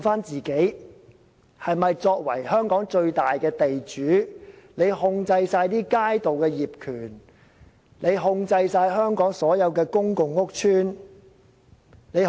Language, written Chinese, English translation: Cantonese, 作為香港最大的地主，政府不但控制街道的業權，而且控制全港所有公共屋邨和公園。, As the largest land owner in Hong Kong the Government not only owns the streets but also all public housing estates and parks in Hong Kong